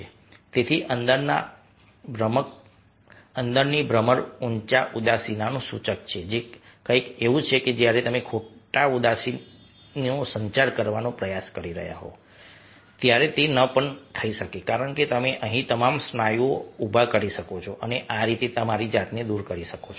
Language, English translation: Gujarati, so the inner eyebrows raised is an indicator of sadness, which is something, ah, which, when you are trying to communicate false sadness, may not happen because you might raise all the muscles here, ok, and thus give yourself away